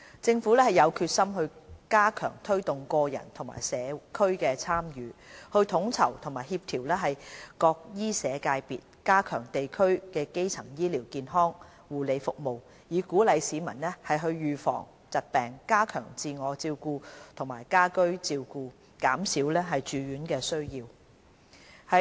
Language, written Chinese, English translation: Cantonese, 政府有決心加強推動個人和社區的參與，統籌和協調各醫社界別，加強地區基層醫療健康護理服務，以鼓勵市民預防疾病，加強自我照顧和家居照顧，減少住院需要。, The Government is determined to step up efforts to promote individual and community involvement enhance coordination among various medical and social sectors and strengthen district - level primary health care services . Through these measures we aim to encourage the public to take precautionary measures against diseases enhance their capability in self - care and home care and reduce the demand for hospitalization